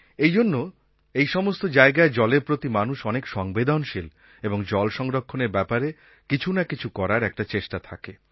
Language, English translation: Bengali, Hence, in such places they are very sensitive about water and are equally active in doing something to deal with the shortage of water